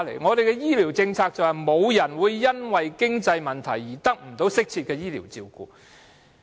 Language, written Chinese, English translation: Cantonese, 本港的醫療政策則提出，沒有人會因經濟問題而得不到適切的醫療照顧。, The health care policy of Hong Kong proposes that no one should be denied adequate health care through lack of means